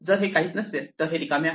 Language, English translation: Marathi, If it is none, it is empty